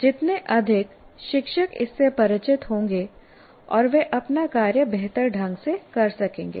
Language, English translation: Hindi, The more you are familiar with this, the more the teacher can perform his job better